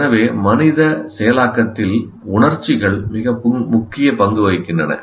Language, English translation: Tamil, So emotions do play a very important role in human processing